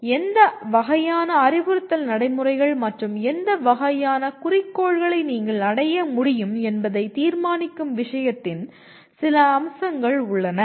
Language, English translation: Tamil, So there is some features of the subject that determine what kind of instructional procedures and what kind of objectives that you can achieve